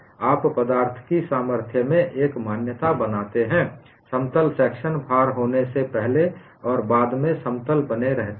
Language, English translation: Hindi, You make an assumption in strength of materials plane sections remain plane before and after loading